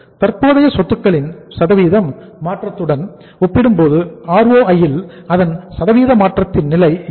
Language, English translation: Tamil, That what is the level of say ROI percentage change in ROI as compared to the percentage change in the current assets